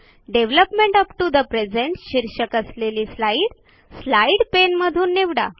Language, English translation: Marathi, Select the slide entitled Development up to the present from the Slides pane